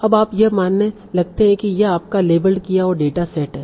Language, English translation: Hindi, Now you start assuming that this is your label data set